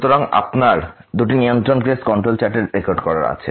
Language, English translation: Bengali, So, you have the both the cases recorded here of the control chart